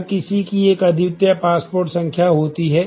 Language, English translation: Hindi, Everybody has a unique passport number